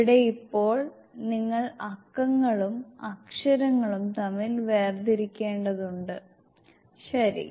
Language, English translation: Malayalam, Here now you have to differentiate between the numbers and the alphabets ok Ok